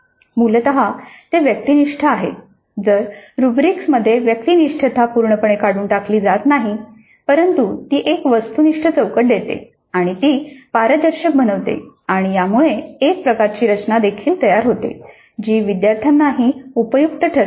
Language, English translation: Marathi, Now essentially it is subjective, even with rubrics, subjectivity is not altogether eliminated but it does give an objective framework and it makes it transparent and it also creates some kind of a structure which is helpful to the student also